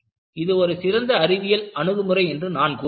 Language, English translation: Tamil, And I would say, it is really a scientific approach